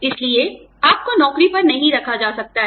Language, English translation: Hindi, So, you know, you cannot be hired